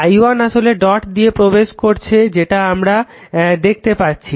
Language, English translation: Bengali, So, i1 actually entering into the dot